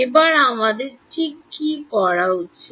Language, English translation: Bengali, This time we should get it right